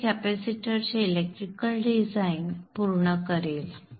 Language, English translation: Marathi, So this would complete the electrical design of the capacitance